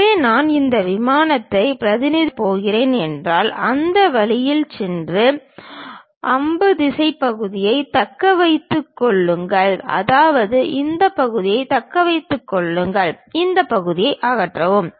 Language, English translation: Tamil, So, if I am going to represent this plane really goes all the way in that way and retain the arrow direction part; that means, retain this part, remove this part